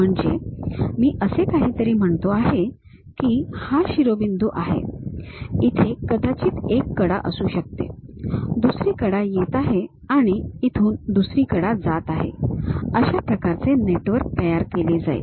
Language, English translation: Marathi, Something, like if I am saying this is the vertex perhaps there might be one edge, another edge is coming, another edge is going; that way a network will be constructed